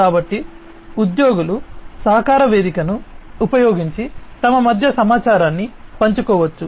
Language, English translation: Telugu, So, employees can share information between themselves using a collaboration platform